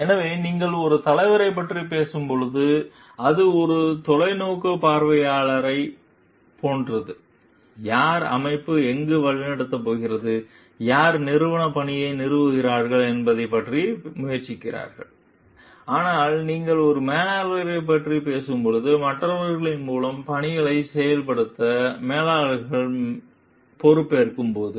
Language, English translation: Tamil, So, when you are talking of leader, it is more like a visionary, who tries to see where the organization is going to lead to and who establishes the organizational mission but, when you talking of a manager, there when the managers are responsible for implementing the mission through others